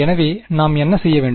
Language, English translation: Tamil, So, let us see, so what should we do